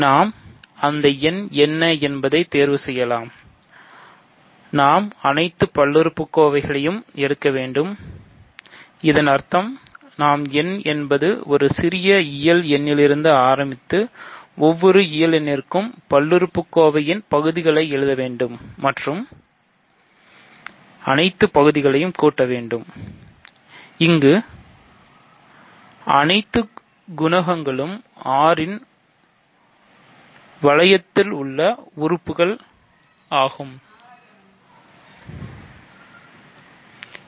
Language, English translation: Tamil, Remember that we can choose, we have to take all polynomials; that means, we have to take small n for every natural number and consider all polynomials with all the coefficients being any elements of the ring R